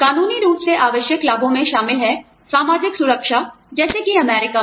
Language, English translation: Hindi, Legally required benefits include, social security, as in the US